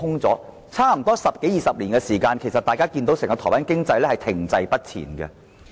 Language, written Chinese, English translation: Cantonese, 在十多二十年間，大家看到整個台灣經濟停滯不前。, We can see that the Taiwan economy as a whole has become stagnant in just a couple of decades